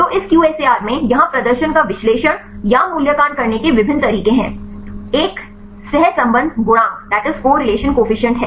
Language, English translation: Hindi, So, in this QSAR here there are various ways to analyze or evaluate the performance; one is the correlation coefficient